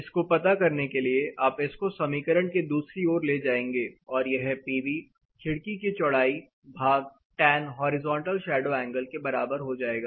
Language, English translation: Hindi, So, to know this, you will take this in this side, it will be the width of the window by tan horizontal shadow angle